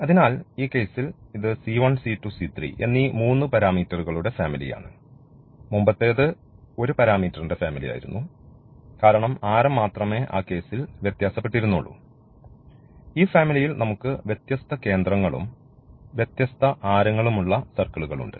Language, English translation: Malayalam, So, in that case this is a family of these three parameters c 1 c 2 c 3, while the earlier one was the family of one parameter, because the only the radius was varying in that case here we have different centers and different radius of the of these circles of this family of circle